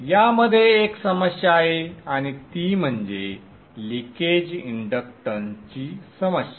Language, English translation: Marathi, There is one problem in this and that is the issue of leakage inductance